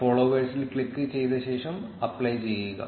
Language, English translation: Malayalam, Click on followers and then apply